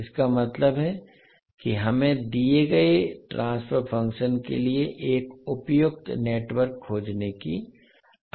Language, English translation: Hindi, That means we are required to find a suitable network for a given transfer function